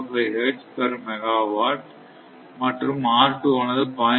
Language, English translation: Tamil, 05 hertz per megawatt and this is R 2 is equal to 0